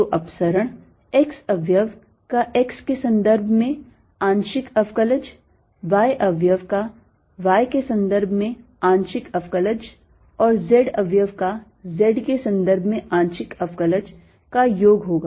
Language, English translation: Hindi, so is divergence is going to be the sum of the partial derivative of x component with respect to x, partial derivative of y component with respect to y and partial derivative of z component with respect to z